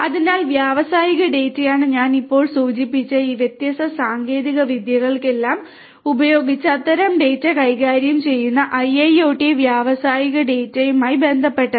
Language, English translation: Malayalam, So, industrial data is what is concerns IIoT industrial data managing such kind of data using all these different techniques that I just mentioned will have to be done